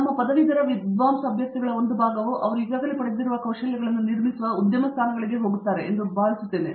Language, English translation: Kannada, I think by and large a fraction of our candidates of our scholar graduating go into industry positions that build upon the skills that they already have acquired